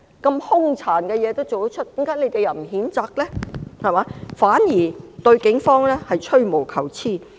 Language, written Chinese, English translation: Cantonese, 這麼兇殘的事情，為甚麼反對派不譴責呢？反而對警方吹毛求疵。, Why is the opposition not condemning such a cruel act but finding minor faults with the Police?